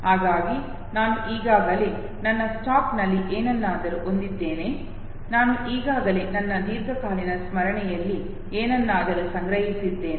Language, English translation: Kannada, So I already have something in my stack, I have already stored something in my long term memory